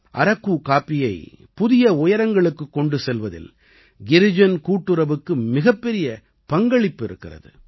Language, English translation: Tamil, Girijan cooperative has played a very important role in taking Araku coffee to new heights